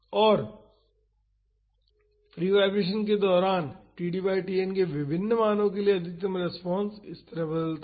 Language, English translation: Hindi, And, during the free vibration the maximum response varies like this for different values of td by Tn